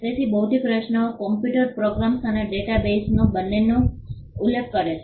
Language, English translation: Gujarati, So, intellectual creations refer to both computer programs and data bases